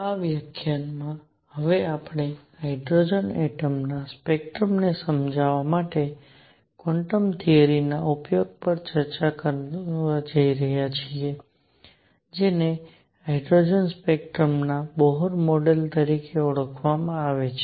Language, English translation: Gujarati, In this lecture, we are now going to discuss application of quantum theory to explain the spectrum of hydrogen atom what is known as Bohr model of hydrogen spectrum